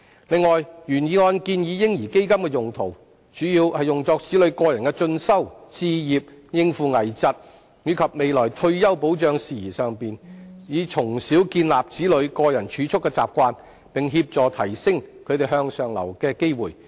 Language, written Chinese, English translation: Cantonese, 此外，原議案建議"嬰兒基金"的用途，主要用作子女個人進修、置業、應付危疾，以及未來退休保障事宜上，以從小建立子女個人儲蓄的習慣，並協助提升其向上流動的機會。, Moreover as proposed by the original motion the baby fund should be used mainly by children for further studies home acquisition coping with critical illnesses and retirement protection in the future so that children can develop the habit of keeping personal savings at a tender age and be given more opportunities of upward mobility